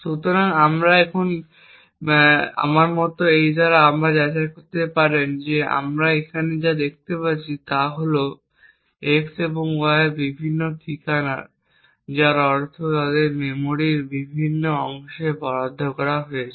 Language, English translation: Bengali, So, we can verify this again by something like this and what we see over here is that x and y are of different addresses meaning that they have been allocated to different chunks of memory